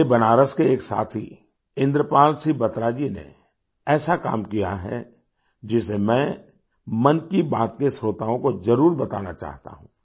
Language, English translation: Hindi, My friend hailing from Benaras, Indrapal Singh Batra has initiated a novel effort in this direction that I would like to certainly tell this to the listeners of Mann Ki Baat